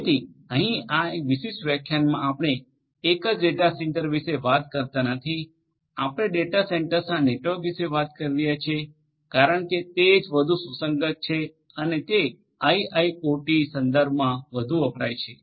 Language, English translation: Gujarati, So, here in this particular lecture we are not talking about a single data centre, we are talking about a network of data centre because that is what is more relevant and that is more used in the IIoT contexts